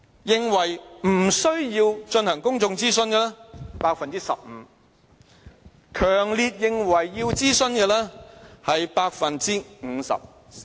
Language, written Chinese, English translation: Cantonese, 認為不需要進行公眾諮詢的有 15%， 強烈認為需要諮詢的是 50%......, While 15 % of the respondents do not see any need for a public consultation 50 % 49 % strongly think there is such a need